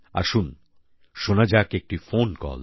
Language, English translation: Bengali, Come on, let us listen to a phone call